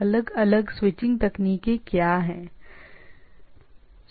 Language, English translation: Hindi, So, what sort of switching techniques are there